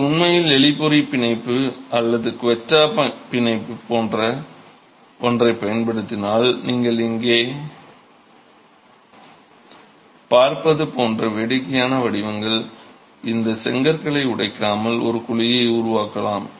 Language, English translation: Tamil, If you can actually use something like the rat trap bond or the quetta bond, you can create a cavity without having to break these bricks into funny patterns like the one that you see here